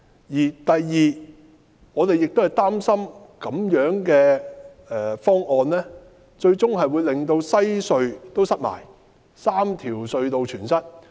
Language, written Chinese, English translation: Cantonese, 其次，我們亦擔心這樣的方案最終亦會令西區海底隧道擠塞。, Besides we are also concerned that the proposal will ultimately cause traffic congestion at the Western Harbour Crossing WHC